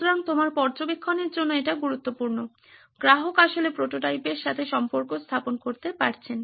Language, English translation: Bengali, So that is important to your observation, the customer actually interacting with the prototype